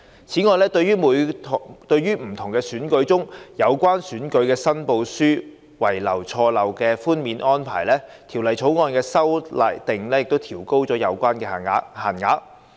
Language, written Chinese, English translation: Cantonese, 此外，對於在不同選舉中有關選舉申報書輕微錯漏的寬免安排，《條例草案》的修訂亦調高有關限額。, The Bill also proposes to raise the prescribed limits under the de minimis arrangement for handling election returns with minor errors or omissions in different elections